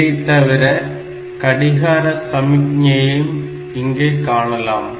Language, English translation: Tamil, So, that clock signal will be there